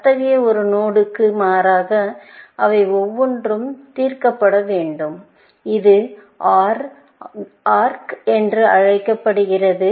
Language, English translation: Tamil, Every one of them has to be solved, as opposed to such a node; this is called an OR arc